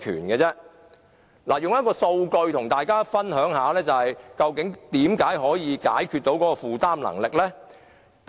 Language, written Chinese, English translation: Cantonese, 我想以數據跟大家解釋，為何這樣做能夠解決買家負擔能力的問題。, Let me illustrate with figures why this kind of housing is affordable for buyers